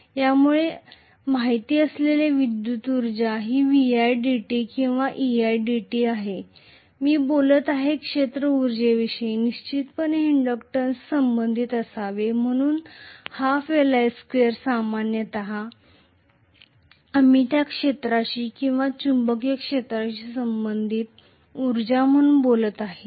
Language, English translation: Marathi, Electrical energy we know is V i dt or E i dt right, whereas if I am talking about field energy obviously it should be associated with inductance, so half l i square typically, that is what we are talking about as the energy that is associated with the field or magnetic field